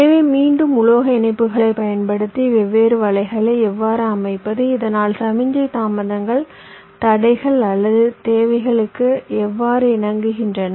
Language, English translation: Tamil, so again, so how to layout the different nets, using metal connections typically, so that the signal delays conform to our constraints or requirements